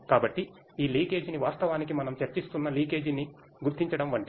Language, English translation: Telugu, So, this leakage is actually monitored like the detection of leakage what we were discussing